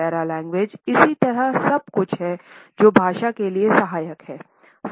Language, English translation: Hindi, Paralanguage similarly is everything which is in auxiliary to language